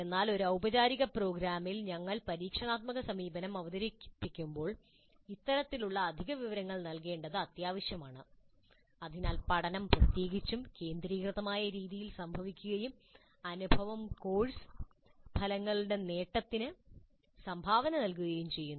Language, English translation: Malayalam, In the traditional model this was not emphasized but in a formal program when we introduced experiential approach it is necessary for us to provide this kind of additional information so that learning occurs in a particularly focused manner and the experience really contributes to the attainment of the course outcomes